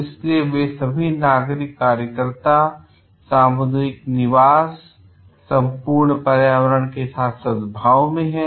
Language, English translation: Hindi, So, that they all citizens workers and community residence are like in harmony with the total environment